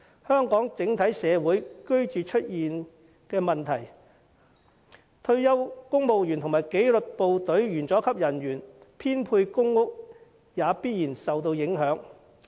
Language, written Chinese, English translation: Cantonese, 香港整體社會出現居住問題，退休公務員和紀律部隊員佐級人員編配公屋亦必然受到影響。, When the community at large is plagued with housing problems the allocation of PRH units for retired rank - and - file staff of the disciplined services will certainly be affected as well